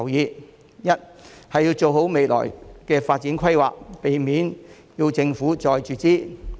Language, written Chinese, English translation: Cantonese, 第一，要做好未來的發展規劃，避免政府要再注資。, First the future development plan has to be devised properly in order to avoid further capital injections by the Government